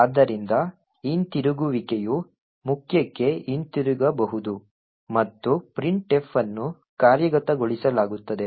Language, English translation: Kannada, Therefore, the return can come back to the main and printf done would get executed